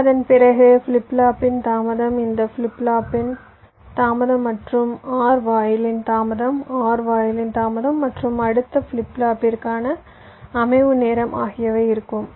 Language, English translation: Tamil, so after that there will be a delay of the flip flop, delay of this flip flop plus delay of the or gate, delay of the or gate plus setup time for the next flip flop before the next clock can come